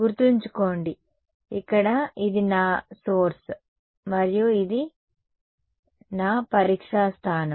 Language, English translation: Telugu, Remember, here, this was my source and this was my testing point